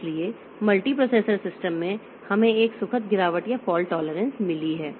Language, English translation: Hindi, So, in a multiprocessor system we have got a graceful degradation or fault tolerance